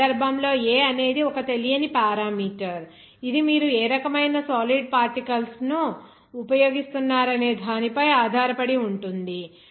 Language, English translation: Telugu, In this case, A is one unknown parameter that depends on what type of solid particles you are using